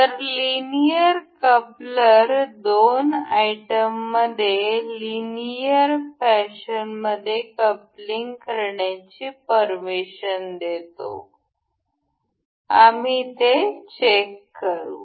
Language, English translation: Marathi, So, linear coupler allows a coupling between two items in an linear fashion; we will check that